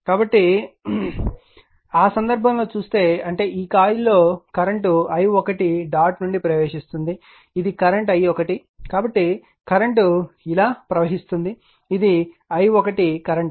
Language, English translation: Telugu, So, in that case if you look into that that if you when in this coil the current is entering into the dot i 1 current this is i 1 current thus current is moving like this is i 1 current